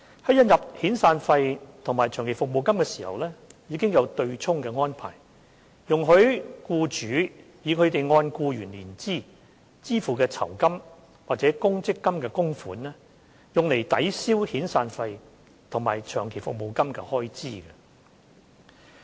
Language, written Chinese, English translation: Cantonese, 在引入遣散費及長期服務金時，已有對沖安排，容許僱主以他們按僱員年資支付的酬金或公積金供款，用作抵銷遣散費和長期服務金的開支。, The offsetting arrangement was already in place when severance and long service payments were introduced allowing employers to offset their expense on severance and long service payments against the gratuity based on the length of service payable to an employee or the contributions made to a provident fund